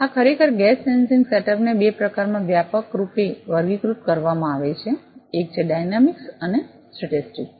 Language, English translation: Gujarati, Yes actually the gas sensing setup is broadly classified into two types one is dynamics and statics